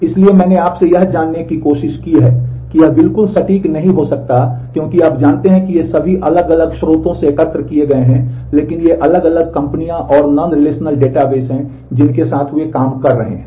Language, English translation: Hindi, So, I have tried to you know these may not be absolutely accurate because you know these are all collected from different sources, but these are the different companies and the kind of non relational database that they are focusing with working with